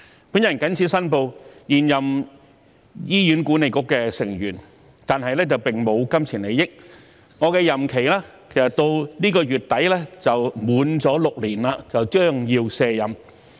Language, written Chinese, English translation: Cantonese, 本人謹此申報，我是現任醫院管理局的成員，但並沒有金錢利益，我的任期其實至今個月底便滿6年，將要卸任。, I hereby declare that I am a serving member of the Hospital Authority HA but I have no pecuniary interest in it . My term of office will have actually reached six years by the end of this month and I will have to step down